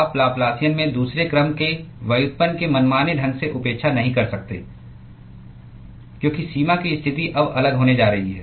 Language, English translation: Hindi, You cannot arbitrarily neglect the second order derivative in the Laplacian, because the boundary condition is now going to be different